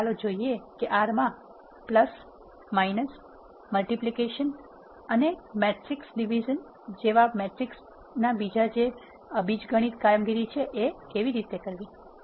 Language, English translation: Gujarati, Now, let us see how to do algebraic operations on matrices such as addition, subtraction, multiplication and matrix division in R